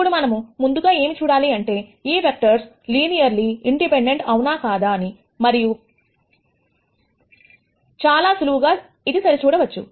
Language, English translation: Telugu, Now, the first thing that we have to check is, if these vectors are linearly independent or not and that is very easy to verify